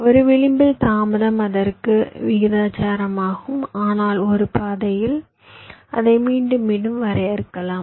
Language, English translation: Tamil, delay along an edge is proportional to its length, but along a path it can be defined recursively